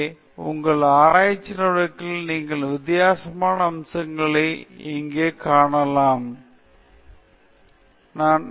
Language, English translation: Tamil, So, may be now we have seen a lot different aspects of your research activities here, were we will look at something more